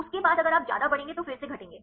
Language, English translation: Hindi, After that if you increase more then again will decreasing